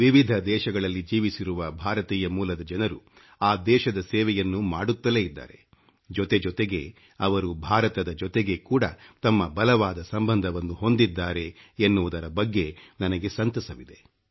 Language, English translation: Kannada, I am happy that the people of Indian origin who live in different countries continue to serve those countries and at the same time they have maintained their strong relationship with India as well